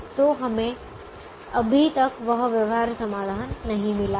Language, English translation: Hindi, so we have not yet got that feasible solution